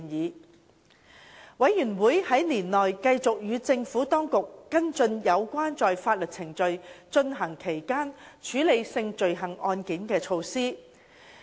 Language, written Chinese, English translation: Cantonese, 事務委員會在年內繼續與政府當局跟進有關在法院程序進行期間處理性罪行案件的措施。, The Panel continued to follow up with the Administration on measures for handling sexual offence cases during court proceedings